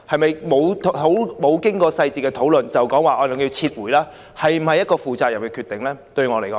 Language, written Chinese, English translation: Cantonese, 未經詳細討論便要求撤回計劃，是否一個負責任的決定？, If we request to withdraw the project before having any detailed discussion are we acting in a responsible manner?